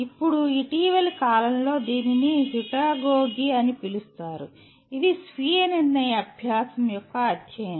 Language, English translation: Telugu, Now, relatively recent one it is called “Heutagogy”, is the study of self determined learning